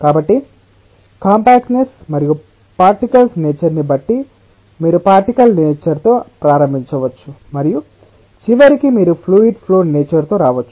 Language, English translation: Telugu, so, depending on the compactness and the nature of the particles, you may start with the particle nature and at the end you may come up with the fluid flow nature